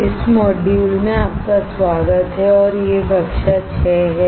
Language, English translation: Hindi, Welcome to this module and these are class 6